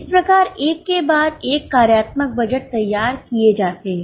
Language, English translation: Hindi, Getting it, this is how one after another functional budgets are prepared